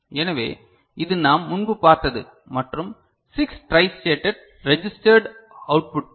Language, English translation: Tamil, So, this is the kind of thing which we had seen before alright and 6 tristated registered outputs ok